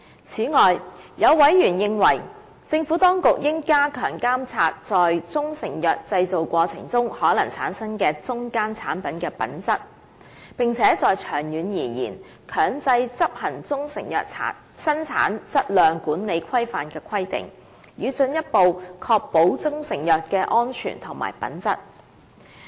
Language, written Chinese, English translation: Cantonese, 此外，有委員認為，政府當局應加強監察在中成藥製造過程中可能產生的中間產品的品質，並長遠而言，強制執行中成藥生產質量管理規範的規定，以進一步確保中成藥的安全和品質。, In addition some Members consider that the Administration should strengthen the monitoring of the safety and quality of the intermediate products that may be generated in the course of manufacture of proprietary Chinese medicines . In the long run the Good Manufacture Practice GMP requirements for proprietary Chinese medicines should be made mandatory to further ensure the safety and quality of proprietary Chinese medicines